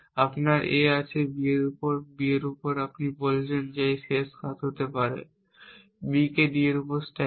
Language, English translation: Bengali, You have this A on B, B on D and you are saying that may last action would be to stack